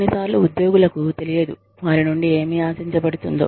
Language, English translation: Telugu, Sometimes, employees do not know, what is expected of them